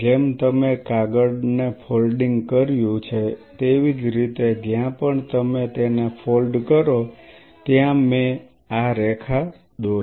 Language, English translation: Gujarati, Just like you have done paper folding you fold this wherever I drew the line you fold it